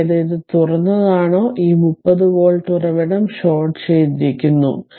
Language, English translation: Malayalam, That is, is this is open this 30 volt source is shorted